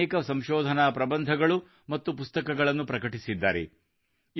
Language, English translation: Kannada, He has published many research papers and books